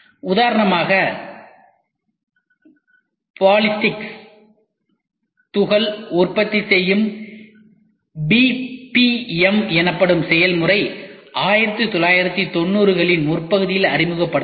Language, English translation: Tamil, As an example the process called ballistic particle manufacturing BPM was introduced already in the early 1990s, but vanished soon after